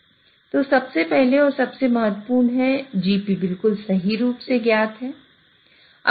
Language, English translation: Hindi, So first and foremost is GP is known exactly